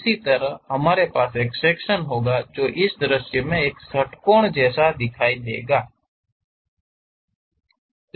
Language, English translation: Hindi, Similarly, we will be having a section which looks like a hexagon in this view